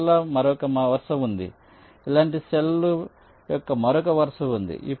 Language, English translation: Telugu, there is another row of cells, there is another row of cells like this